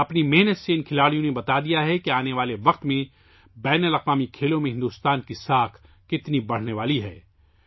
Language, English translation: Urdu, With their hard work, these players have proven how much India's prestige is going to rise in international sports arena in the coming times